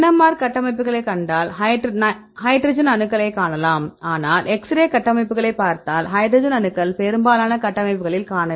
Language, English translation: Tamil, If you see the NMR structures you can see the hydrogen atoms, but if we look into the x ray structures, most of the structures the hydrogen atoms are missing